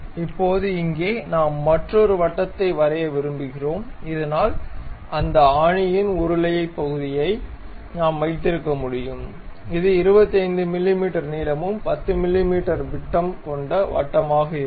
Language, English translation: Tamil, Now, here we would like to draw another circle, so that the stud portion of that bolt we can have it, which will be 25 mm in length and a circle of 10 mm diameter